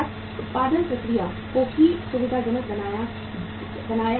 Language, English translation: Hindi, Production process is also facilitated